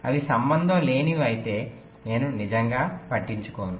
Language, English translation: Telugu, if they are unrelated i really do not care right